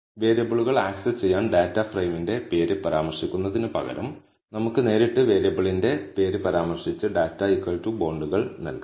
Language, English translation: Malayalam, So, instead of mentioning the name of the data frame to access the variables, we can directly mention the name of the variable and give data equal to bonds